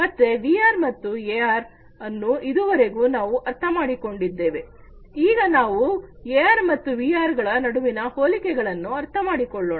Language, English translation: Kannada, So, let us now having understood AR and VR so far, let us now try to understand the similarities between AR and VR